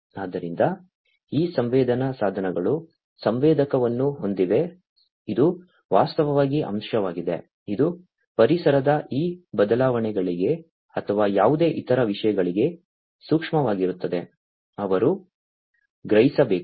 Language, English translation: Kannada, So, these sensing devices have the sensor, which will which is actually the element, which is sensitive to these changes of environment or any other thing, that they are supposed to sense